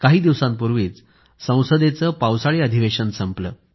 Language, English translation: Marathi, The monsoon session of Parliament ended just a few days back